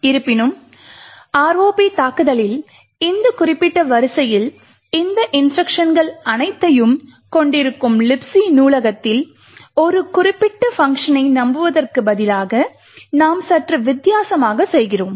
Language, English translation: Tamil, However, in the ROP attack we do things a little bit differently instead of relying on a specific function in the libc library which has all of these instructions in this particular sequence